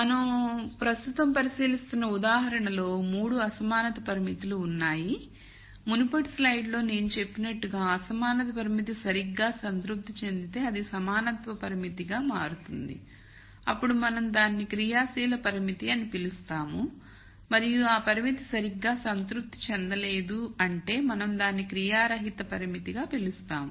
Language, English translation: Telugu, So, in the example that we are considering right now, there are 3 inequality constraints and as I mentioned in the previous slide if the inequality constraint is exactly satis ed that does it becomes an equality constraint then we call that an active constraint and if the constraint is not exactly satisfied we call it as an inactive constraint